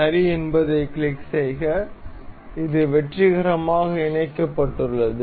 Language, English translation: Tamil, Click ok, this is mated successfully